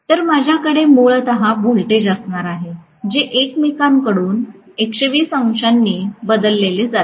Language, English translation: Marathi, So, I am going to have essentially the voltages created which are shifted from each other by 120 degrees